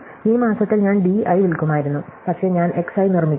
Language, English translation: Malayalam, So, in this month I would have sold di, but I produce X i